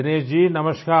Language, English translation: Hindi, Dinesh ji, Namaskar